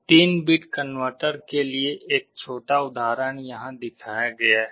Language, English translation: Hindi, One small example is shown here for a 3 bit converter